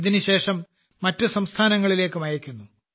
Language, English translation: Malayalam, After this it is also sent to other states